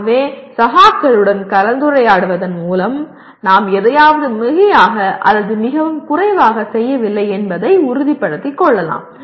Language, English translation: Tamil, So by discussing with peers we can make sure that we are not overdoing something or underdoing something